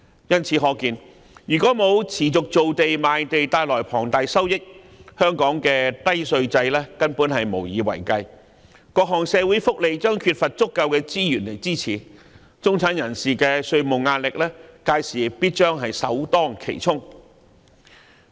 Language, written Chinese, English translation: Cantonese, 由此可見，缺乏持續造地和賣地帶來的龐大收益，香港的低稅制根本無以為繼，各項社會福利將缺乏足夠的資源支持，中產人士的稅務壓力屆時勢必首當其衝。, From this we can see that without the substantial revenue from continued land development and the ensuing land sale Hong Kong simply cannot sustain its low tax regime and the various social welfare benefits will lack sufficient resource support . By that time middle - class people will definitely bear the brunt of a heavier tax burden